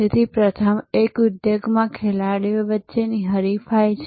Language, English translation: Gujarati, So, the first one is rivalry among players within an industry